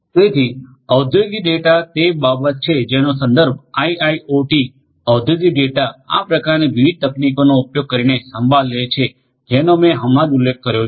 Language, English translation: Gujarati, So, industrial data is what is concerns IIoT industrial data managing such kind of data using all these different techniques that I just mentioned will have to be done